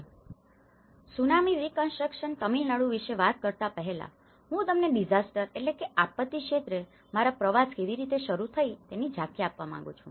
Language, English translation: Gujarati, Before talking about this Tsunami Reconstruction Tamil Nadu, I would like to give you an overview of how my journey in the disaster field have started